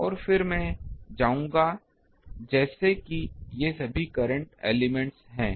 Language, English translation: Hindi, And, then I will go as if these are all current elements